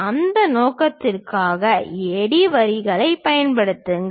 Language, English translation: Tamil, For that purpose use AD lines